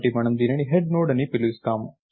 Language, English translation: Telugu, So, we will call this the head Node